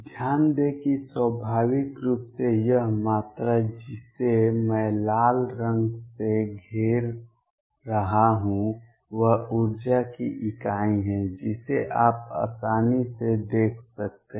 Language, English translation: Hindi, Notice that naturally this quantity which I am encircling by red is unit of energy you can easily check that